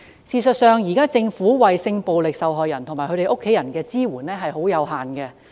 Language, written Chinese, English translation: Cantonese, 事實上，政府現時為性暴力受害人及其家人提供的支援極為有限。, Support services currently offered by the Government to sexual violence victims and their family are indeed very limited